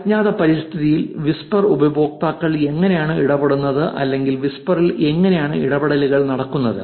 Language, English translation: Malayalam, How do whisper users interact in an anonymous environment, how is the interactions on whisper